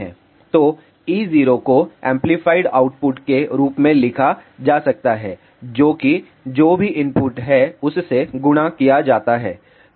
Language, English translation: Hindi, So, e zero can be written as amplified output which is a multiplied by whatever is the input